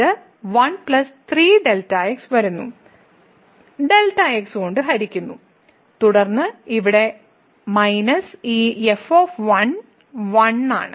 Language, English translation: Malayalam, So, it was 1 plus 3 was coming and divided by and then here minus this is 1